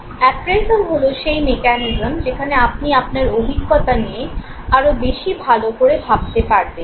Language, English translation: Bengali, Appraisal is a mechanism where you know, better think about the experience that you are having